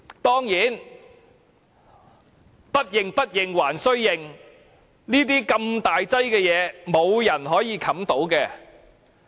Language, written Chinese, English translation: Cantonese, 當然，不認、不認還須認，如此大件事，沒有人可以遮掩得到。, But of course despite its reluctance it must still acknowledge the occurrence of the incident . No one could have been able to cover up such a serious incident